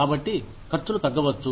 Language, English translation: Telugu, So, the labor costs may go down